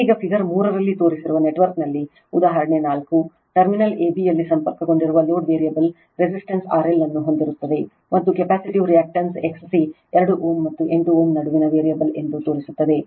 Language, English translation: Kannada, Now, example 4 in the network shown in figure 3; suppose the load connected across terminal A B consists of a variable resistance R L and a capacitive reactance X C I will show you which is a variable between 2 ohm, and 8 ohm